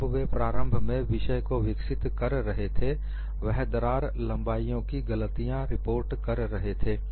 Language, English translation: Hindi, When they were initially developing the subject, they were reporting wrong lengths of crack lengths